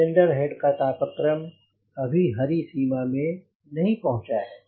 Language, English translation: Hindi, now i am waiting for my cylinder head temperature to come in the green range